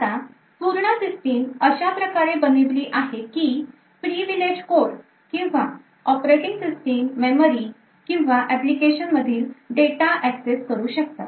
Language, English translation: Marathi, Now the entire system is designed in such a way So, that the privileged code or operating system is able to access the memory and data of all other applications